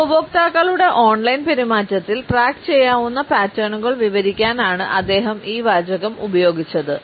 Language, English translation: Malayalam, And he used this phrase to describe track able patterns in online behaviour of customers